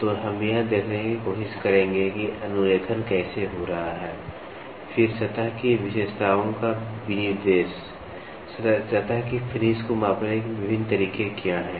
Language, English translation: Hindi, So, we will try to see how are the tracing happening, then specification of surface characteristics, what are the different methods of measuring surface finish